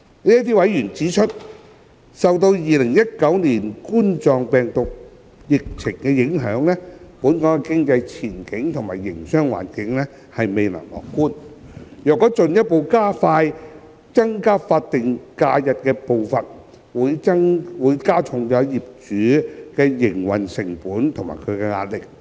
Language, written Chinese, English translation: Cantonese, 這些委員指出，受2019冠狀病毒病疫情影響，本港經濟前景及營商環境未見樂觀，若進一步加快增加法定假日的步伐，會加重僱主的營運成本及壓力。, According to those members the economic prospect and business environment in Hong Kong were not optimistic due to the impact of the COVID - 19 epidemic hence any further acceleration of the pace of increasing SHs would increase the operating costs of and pressure on employers